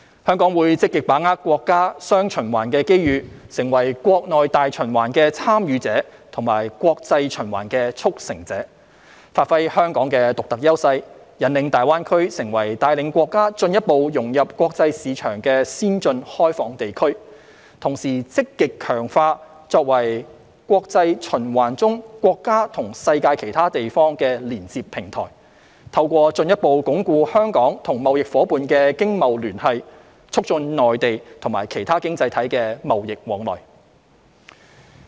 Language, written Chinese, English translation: Cantonese, 香港會積極把握國家"雙循環"機遇，成為國內大循環的"參與者"和國際循環的"促成者"，發揮香港的獨特優勢，引領大灣區成為帶領國家進一步融入國際市場的先進開放地區，同時積極強化作為國際循環中國家與世界其他地方的連接平台，透過進一步鞏固香港與貿易夥伴的經貿聯繫，促進內地與其他經濟體的貿易往來。, Hong Kong will actively seize the opportunities brought by the countrys dual circulation to become a participant in domestic circulation and a facilitator in international circulation and give play to our unique advantages to guide GBA to become an advanced and open region thereby leading the countrys further integration into the international market . We will also actively strengthen our role as the connecting platform between the country and the rest of the world in international circulation and promote trade flows between the Mainland and other economies by further reinforcing the economic and trade connections with our trading partners